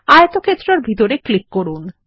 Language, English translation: Bengali, Click inside the rectangle